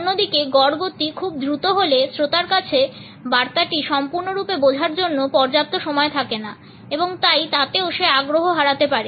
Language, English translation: Bengali, On the other hand, if the average speed is too fast the listener does not have enough time to interpret fully the message and therefore, would also end up losing interest